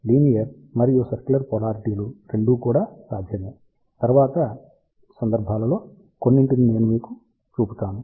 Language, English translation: Telugu, Both linear and circular polarizations are possible, we will show you some of these cases later on